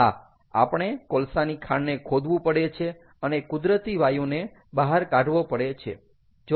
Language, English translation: Gujarati, yeah, we have to mined, we explore the natural gas out, we have to mine the coal, ah